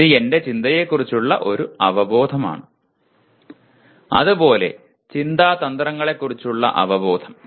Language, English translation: Malayalam, Awareness of knowledge, awareness of thinking, and awareness of thinking strategies